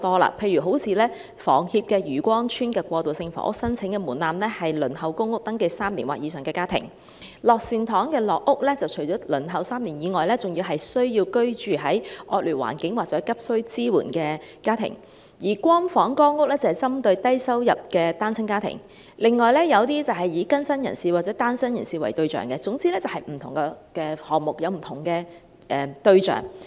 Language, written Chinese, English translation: Cantonese, 例如香港房屋協會在漁光村的過渡性房屋的申請門檻，是已登記輪候公屋3年或以上的家庭；九龍樂善堂的樂善堂社會房屋計劃，除了是輪候3年之外，還需要是居住在惡劣環境或急需支援的家庭；"光房"、"光屋"是針對低收入單親家庭；以及有一些是以更新人士或單身人士為對象，總之便是不同項目有不同對象。, For example the application threshold for the transitional housing of the Hong Kong Housing Society in Yue Kwong Chuen is families which have awaited public housing for three years or above; for Lok Sin Tong Social Housing Scheme of the Lok Sin Tong Benevolent Society Kowloon the applicants must be families living in inadequate conditions or in urgent need of support on top of the requirement of having awaited public housing for three years or above; and for Light Home Light Housing the target beneficiaries are low - income single - parent families; and also for some other projects the target beneficiaries are rehabilitated persons or singletons . In short different projects target different users